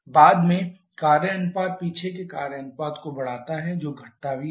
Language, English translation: Hindi, Subsequently the work ratio increases the back work ratio that also decreases